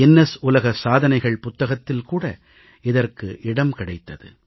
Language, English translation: Tamil, This effort also found a mention in the Guinness book of World Records